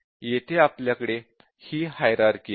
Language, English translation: Marathi, So, we have this hierarchy here